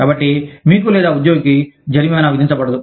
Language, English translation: Telugu, So, that neither you, nor the employee, is penalized